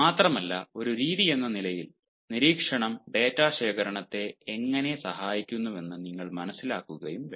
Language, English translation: Malayalam, moreover, you should also understand how observation as a method is going to help in data collection